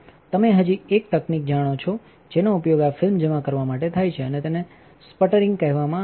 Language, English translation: Gujarati, There is one more you know technology that that is used for depositing this film and that is called sputtering